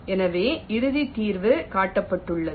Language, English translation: Tamil, so the final solution is shown